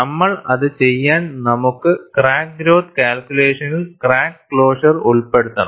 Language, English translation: Malayalam, But we have to do that, if I have to embed crack closure, in our crack growth calculation